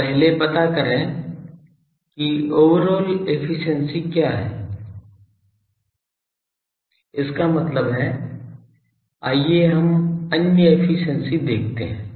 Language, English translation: Hindi, So, first find out what is the overall efficiency; that means, let us see other efficiency